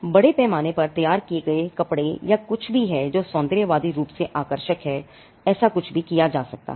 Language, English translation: Hindi, Mass produced dresses anything that is aesthetically appealing, anything can be done jewelry